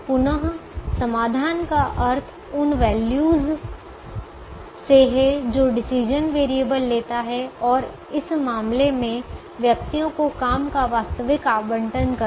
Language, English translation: Hindi, again, solution means values that the decision variables takes and in this case, the actual allocation of jobs to persons